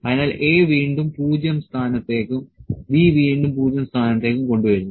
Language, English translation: Malayalam, So, A is again brought to 0 position and B is again brought to 0 position